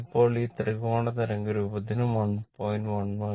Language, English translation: Malayalam, 11 and for this triangular waveform